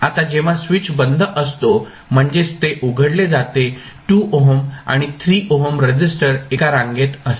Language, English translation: Marathi, Now, when switch is off means it is opened the 2 ohm and 3 ohm resistances would be in series